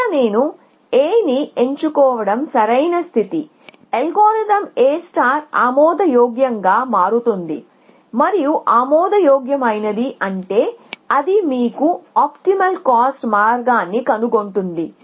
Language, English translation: Telugu, That if I choose a right condition here, then the algorithm A star becomes admissible and by admissible we mean it will find you the optimal cost path essentially